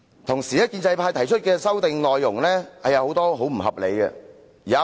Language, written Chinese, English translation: Cantonese, 同時，建制派提出的修訂內容很多也十分不合理。, Meanwhile many of the amendments proposed by the pro - establishment camp are most unreasonable